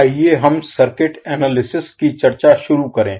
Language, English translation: Hindi, So let us start the discussion of the circuit analysis